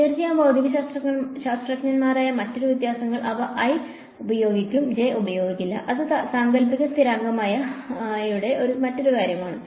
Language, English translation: Malayalam, Of course, another differences that are physicists will not use a j they will use i, that is another thing for the imaginary constant ah